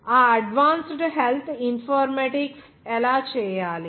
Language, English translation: Telugu, How to do that advanced health Informatics